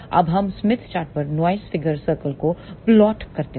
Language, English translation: Hindi, Now, let us plot noise figure circle on the smith chart